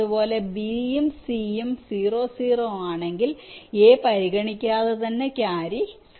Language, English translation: Malayalam, ok, similarly, if b and c as zero and zero, then irrespective of a, the carry will be zero